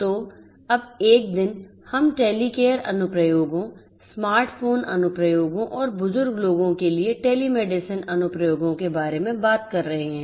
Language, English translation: Hindi, So, now a days, we are talking about having Telecare applications, smart phone applications, telemedicine applications for elderly people